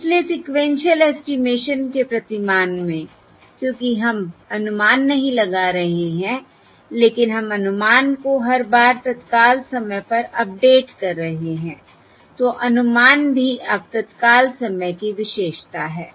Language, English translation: Hindi, So in the paradigm of sequential estimation, because we are computing not one estimate, but we are updating the estimate at every times instant, the time instant, so the estimate is also now characterised by time instant